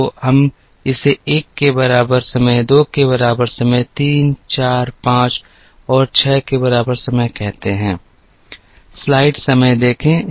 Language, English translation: Hindi, So, let us call this as time equal to 1, time equal to 2, time equal to 3 4 5 and 6 let us plot this